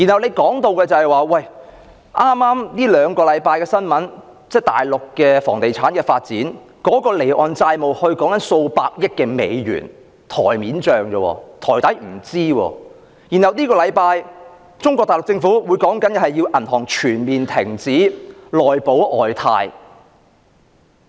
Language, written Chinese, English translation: Cantonese, 根據近兩星期的新聞報道，內地房地產發展的離岸債務已高達數百億美元，而這只是表面帳目而已，實際數字不詳；內地政府更於本周要求銀行全面停止"內保外貸"。, According to news reports in the past two weeks the offshore debt associated with real estate development in the Mainland has reached tens of billions of US dollars and this is just the nominal amount with the actual figures being unknown . This week the Mainland Government even requested banks to completely halt the business of arranging onshore guarantee for offshore loan